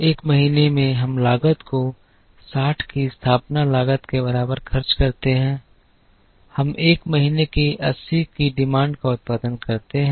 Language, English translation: Hindi, Month one we incur cost equal to setup cost of 60 plus we produce the demand of 80 of month one incurring a production cost of 5